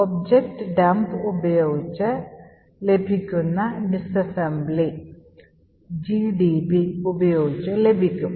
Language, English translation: Malayalam, using objdump can be also obtained with gdb